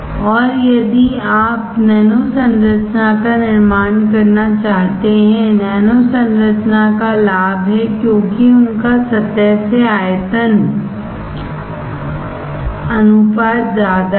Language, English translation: Hindi, And if you want to grow nano structure, nano structure advantage because of their higher surface to volume ratio